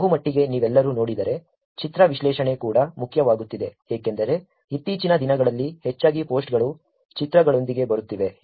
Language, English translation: Kannada, Mostly if you all see, image analysis is also becoming an important one because mostly these days the posts are coming with images